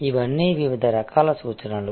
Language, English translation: Telugu, All these are different types of references